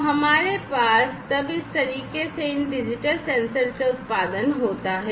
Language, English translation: Hindi, So, we have then this output produced from these digital sensors in this manner right